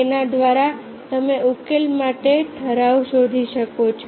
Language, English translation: Gujarati, there by you can find out a regulation for the solutions